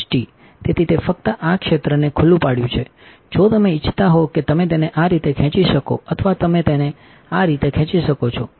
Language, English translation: Gujarati, So, it is just only this area is exposed, if you wanted you can pull it on this way or you can pull it in this way right